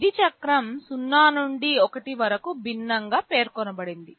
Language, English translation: Telugu, Duty cycle is specified as a fraction from 0 to 1